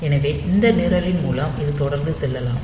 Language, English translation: Tamil, So, it can go on continually by this program